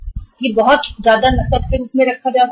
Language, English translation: Hindi, This much can be kept as cash